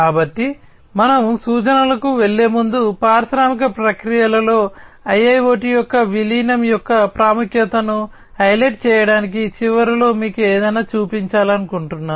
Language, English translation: Telugu, So, before we go to the references, I wanted to show you something at the end to highlight the importance of the incorporation of IIOT in the industrial processes